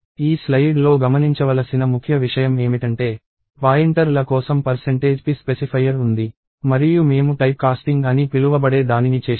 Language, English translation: Telugu, So, the key thing to notice in this slide is, there is percentage p specifier for pointers and we did what is called typecasting